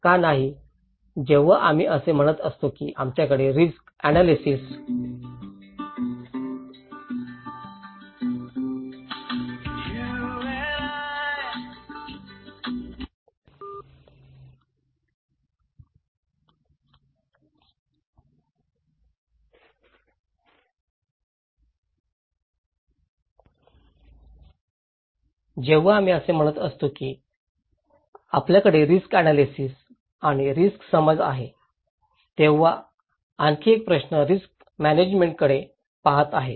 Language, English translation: Marathi, Why no, when we are saying that okay we have risk analysis and risk perceptions, there is another question is looking into risk management